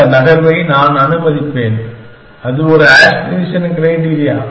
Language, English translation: Tamil, Then I will allow this move and that is an aspiration criteria